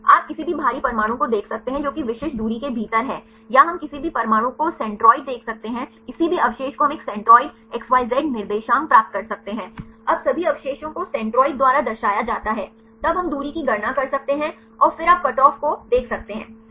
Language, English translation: Hindi, You can see any of the heavy atoms which are within then specific distance or we can see centroid any atom any residue we can get a centroid XYZ coordinates right, now all the residues right are represented by centroids then we can calculate the distance and then you can see the cutoff right